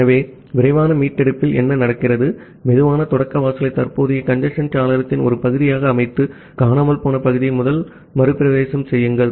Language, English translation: Tamil, So, what happens in fast recovery, that you set the slow start threshold to one half of the current congestion window, retransmit the missing segment that is the first retransmit